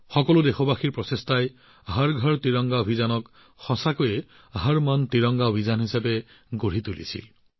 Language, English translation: Assamese, The efforts of all the countrymen turned the 'Har Ghar Tiranga Abhiyan' into a 'Har Man Tiranga Abhiyan'